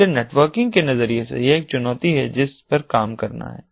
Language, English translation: Hindi, so from a networking perspective, its a challenge that has to be worked on